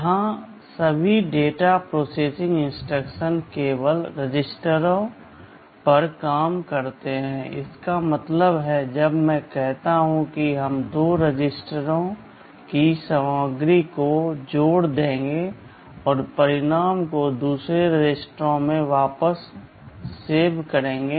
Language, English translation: Hindi, Here all data processing instructions operate only on registers; that means, when I say add we will be adding the contents of two registers and storing the result back into another register